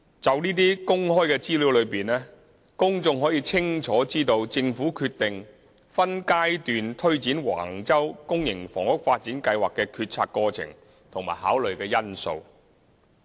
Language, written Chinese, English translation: Cantonese, 從這些公開資料中，公眾可以清楚知道政府決定分階段推展橫洲公營房屋發展計劃的決策過程和考慮因素。, From the information disclosed the public can clearly understand the deliberation process of the Government in deciding to take forward the public housing development at Wang Chau in phases and the factors for consideration